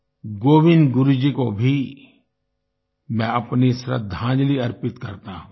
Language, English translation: Hindi, I also pay my tribute to Govind Guru Ji